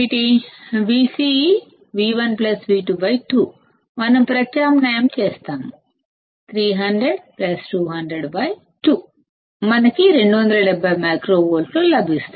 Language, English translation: Telugu, Vc is V1 plus V2 by 2; we substitute 300 plus 200 by 2; we get 270 microvolts